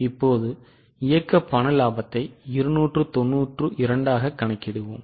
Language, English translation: Tamil, Now we will calculate operating cash profit which is 292